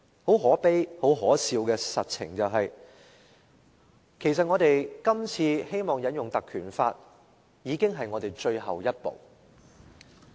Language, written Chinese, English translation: Cantonese, 很可悲、很可笑的實情是，其實我們今次引用《條例》提出議案已經是我們的最後一步。, But the pathetic and ridiculous fact is that moving a motion under the Ordinance is already our last resort